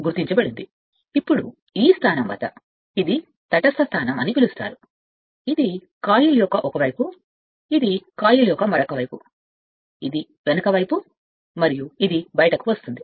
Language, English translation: Telugu, Now, at this position we will find so you can say it is a neutral position at that time this is called one side of the coil, this is other side of the coil, this is the back side, and this is your it is coming out